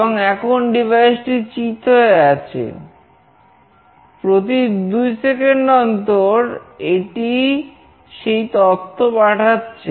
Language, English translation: Bengali, And the device is flat now, every two second it is sending this